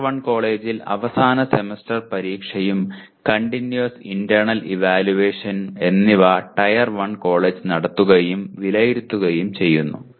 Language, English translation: Malayalam, Whereas in Tier 1 college the End Semester Examination and the Continuous Internal Evaluation both are conducted and evaluated by the Tier 1 college